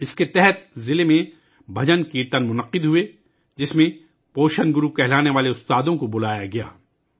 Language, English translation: Urdu, Under this, bhajankirtans were organized in the district, in which teachers as nutrition gurus were called